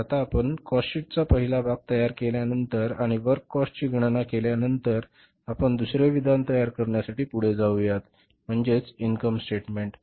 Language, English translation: Marathi, So now we will be, after preparing the cost sheet, first part and calculating the works cost, we will now moving to prepare the second statement that is the income statement